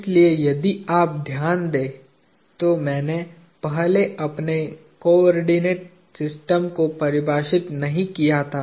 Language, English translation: Hindi, So if you notice, I did not define my coordinate system first